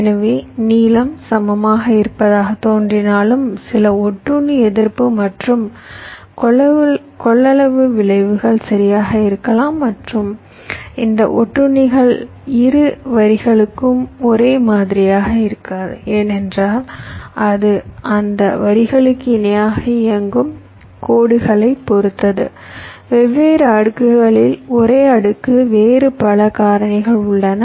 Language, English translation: Tamil, so, although it looks like the lengths are equal, but there can be some parasitic, resistance and capacitance effects, right, and these parastics may not be the same for both the lines because it depends on the lines which are running parallel to those lines on the same layer across different layers